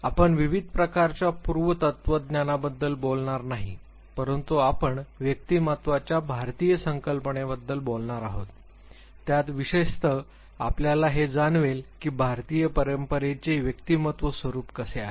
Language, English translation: Marathi, We are not going to talk about various types of eastern philosophy, but we would be talking about the Indian concept of personality especially you would realize that in are Indian tradition personality